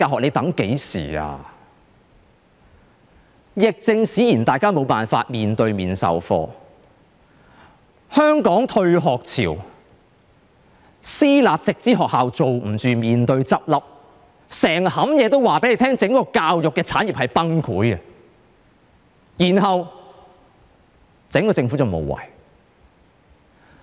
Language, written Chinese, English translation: Cantonese, 由於疫症使然，大家無法面對面授課，香港爆發退學潮、私立直資學校又捱不下去面臨倒閉，所有事情也告訴大家整個教育產業面臨崩潰，但政府卻無為。, Private schools under the Direct Subsidy Scheme are on the brink of closure . All these events tell us that the entire education industry is going to collapse . But the Government has done nothing